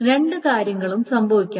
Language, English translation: Malayalam, So both the things must happen